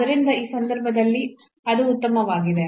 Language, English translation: Kannada, So, in that case it is fine